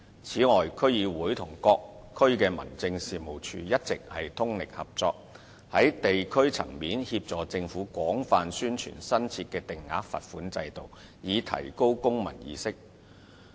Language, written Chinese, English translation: Cantonese, 此外，區議會與各區民政處一直通力合作，在地區層面協助政府廣泛宣傳新設的定額罰款制度，以提高公民意識。, Moreover DCs have been working hand in hand with DOs in various districts assisting the Government in widely publicizing the new fixed penalty system at the district level with a view to promoting civil awareness